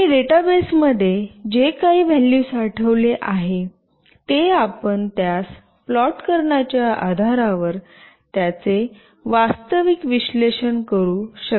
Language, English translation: Marathi, And whatever value is stored in the database, you can actually analyze it based on that you can plot that as well